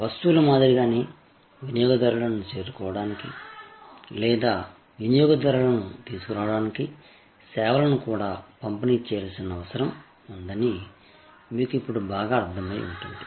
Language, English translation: Telugu, As you would have well understood by now that just like goods, services also need to be distributed to reach out to the customers or to bring customers in